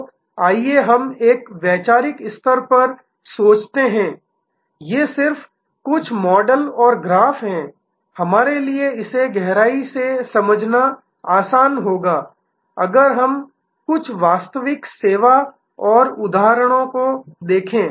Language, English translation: Hindi, So, let us I think at a conceptual level, these are just some models and graphs, it will be easier for us to understand it in depth, if we look at some actual service and the examples